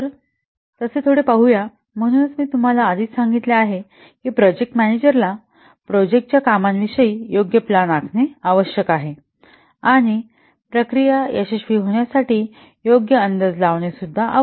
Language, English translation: Marathi, So that's why let's see, I have already told you has to the project manager has to plan properly regarding the activities of the project and do proper estimation in view to get the project success